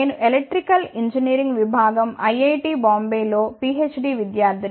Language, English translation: Telugu, I am a Phd student at Electrical Engineering Department IIT Bombay